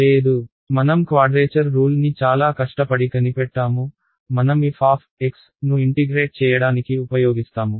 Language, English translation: Telugu, No, I have given you I have invented after a lot of hard work I have invented a quadrature rule ok and, I use it to integrate f of x